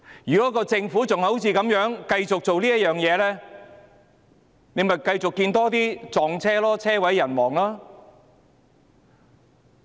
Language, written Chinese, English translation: Cantonese, 如果政府繼續這樣做，便會繼續看到更多的"撞車"事件，車毀人亡。, If the Government continues in this course there will be more car crashes resulting in fatalities